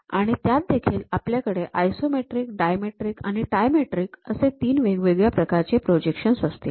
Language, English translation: Marathi, In that we have 3 varieties isometric, dimetric and trimetric projections